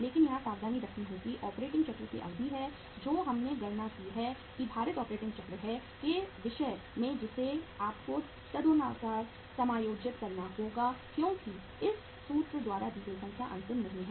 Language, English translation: Hindi, But the caution here is the duration of the operating cycle which we have calculated that is the weighted operating cycle you have to adjust accordingly because the number given by this formula is not the final